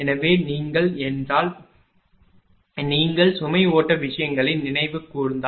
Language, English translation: Tamil, So, if you if you if you recall the load flow things